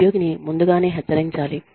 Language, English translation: Telugu, Employee should be warned, ahead of time